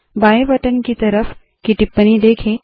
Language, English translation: Hindi, Observe the comment next to the left button